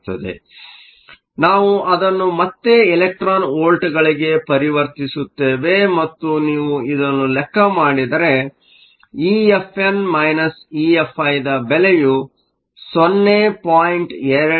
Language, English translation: Kannada, So, that we convert it back to electron volts and if you do this E Fn minus E Fi is 0